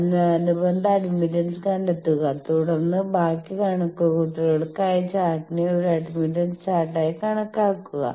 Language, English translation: Malayalam, So, then find the corresponding admittance and for rest of the calculation assume the chart as admittance chart